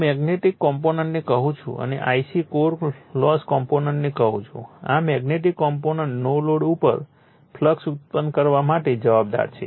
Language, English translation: Gujarati, I m we call the magnetizing component and I c the core loss components this magnetizing component at no load is responsible for producing the flux